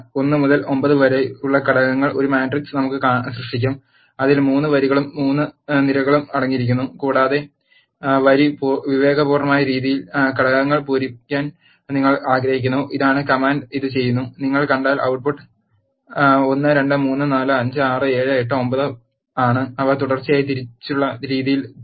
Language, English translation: Malayalam, Let us create a matrix with the elements 1 to 9 which is containing 3 rows and 3 columns and you want to fill the elements in a row wise fashion this is the command which does this and if you see the output is 1 2 3 4 5 6 7 8 9 that are filled in a row wise fashion